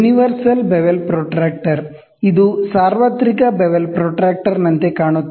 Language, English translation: Kannada, Universal bevel protractor, it is this is how it looks like a universal bevel protractor